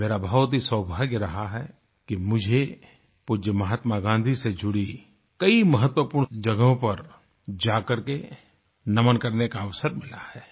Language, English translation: Hindi, I have been extremely fortunate to have been blessed with the opportunity to visit a number of significant places associated with revered Mahatma Gandhi and pay my homage